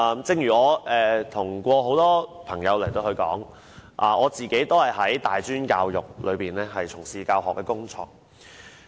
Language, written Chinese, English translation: Cantonese, 正如我跟多位朋友說過，我自己也是從事大專教學工作。, I may have mentioned to a few friends that I teach in tertiary institutions